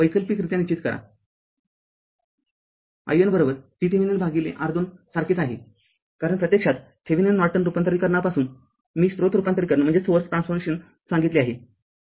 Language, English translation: Marathi, Alternatively we can determine i n is equal to V Thevenin by R Thevenin same thing right because source transformation I told you from Thevenin Norton transformation actually